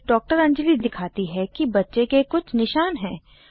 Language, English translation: Hindi, Dr Anjali then points out that the baby has some rashes